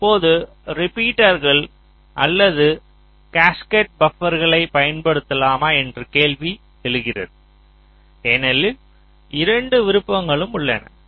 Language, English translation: Tamil, so now the question arises whether to use repeaters or cascaded buffers, because both the options are there